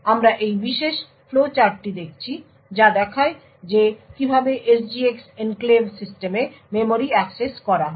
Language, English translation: Bengali, So, we look at this particular flow chart which shows how memory accesses are done in an SGX enclave system